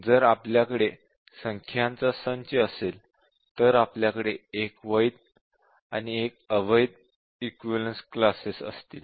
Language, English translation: Marathi, If we have a set of numbers we have 1 valid and 1 invalid